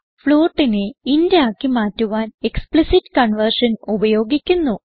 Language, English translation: Malayalam, To convert a float to an int we have to use explicit conversion